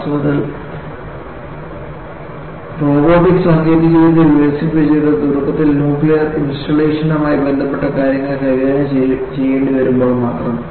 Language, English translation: Malayalam, In fact, robotic technology got developed, purely when they have to handle things related to nuclear installation, to start with